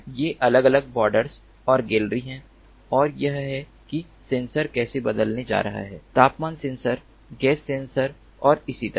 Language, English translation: Hindi, these are the different bords and the gallery and this is how the sensors are going to replace: the temperature sensor, the gas sensors and so on